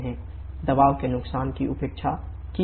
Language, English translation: Hindi, The pressure losses are neglected